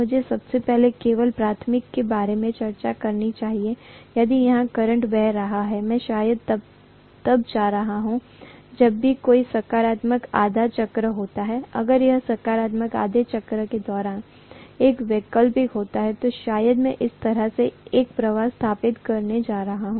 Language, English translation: Hindi, Let me first of all discuss only about the primary, if this current is flowing, I am going to have probably whenever there is a positive half cycle, if it is an alternating during the positive half cycle, probably I am going to have a flux established like this